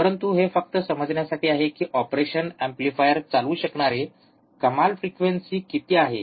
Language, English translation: Marathi, But this is just to understand what is the maximum frequency that operational amplifier can operate it